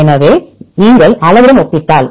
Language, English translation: Tamil, So, if you compared with size